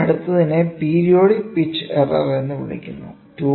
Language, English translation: Malayalam, So, next one is called as periodic pitch error